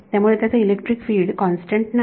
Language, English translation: Marathi, So, its E electric field is not constant